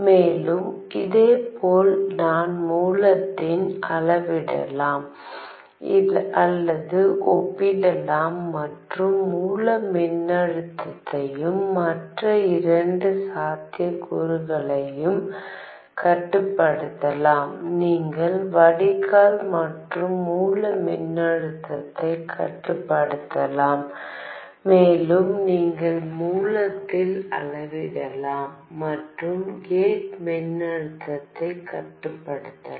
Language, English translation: Tamil, You measure at the drain and control the source voltage and you measure at the drain and control the source voltage and you measure at the source and you measure at the source and control the gate voltage